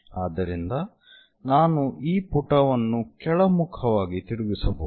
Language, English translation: Kannada, So, that I can flip this page all the way downward direction